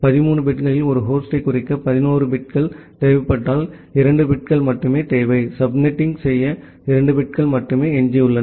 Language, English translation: Tamil, And out of the 13 bit if you require 11 bits to denote a host, only 2 bits are required for, only 2 bits are remaining for doing the subnetting